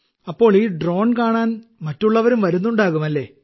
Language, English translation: Malayalam, So other people would also be coming over to see this drone